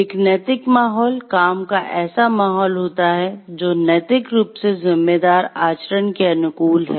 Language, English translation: Hindi, An ethical climate is a working environment and which is conducive to morally responsible conduct